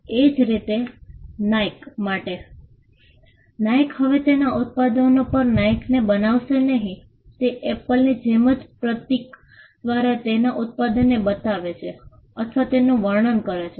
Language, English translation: Gujarati, Similarly, for Nike: Nike does not anymore right Nike on its products, it just shows or describes its product through the symbol, just like the way in which Apple does